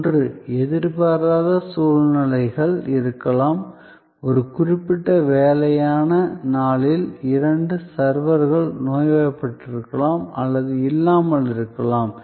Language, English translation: Tamil, One is that, there can be unforeseen circumstances, may be on a particular busy day two servers are sick and absent